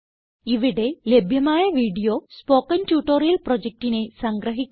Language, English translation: Malayalam, The video available at the following link summarises the Spoken Tutorial project